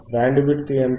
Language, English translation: Telugu, What is Bandwidth